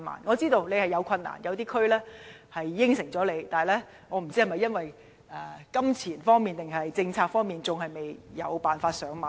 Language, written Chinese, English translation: Cantonese, 我知道當中存在不少困難，可能有些區已經答應進行，但不知是因為金錢還是政策方面的問題，以致未能"上馬"。, I understand that there are great difficulties . While some districts have consented to the construction of a columbarium the works have not been carried out instantly for reasons of money or policy